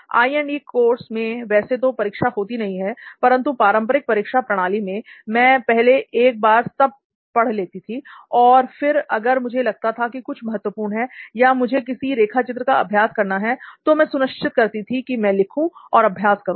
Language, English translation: Hindi, Now in I&E course, there are no exam as such, but initially like the conventional exam mode, I would usually read once and then if I feel something important or if I need to practice any diagrams, I always had a, made it a point to like write and practice